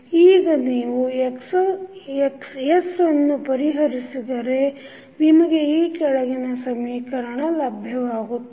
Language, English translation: Kannada, Now, if you solve for Xs this particular equation what you get